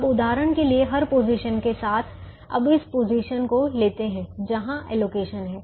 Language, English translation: Hindi, for example, now let us take this position where there is an allocation